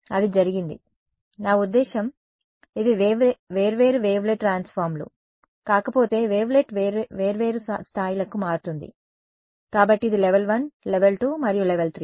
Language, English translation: Telugu, That is what has happened; I mean if these are not separate wavelet transforms, wavelet transforms to different levels right, so this is a level 1, level 2 and level 3 right